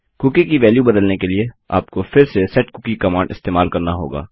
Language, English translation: Hindi, To change the value of a cookie, youll have to use setcookie command again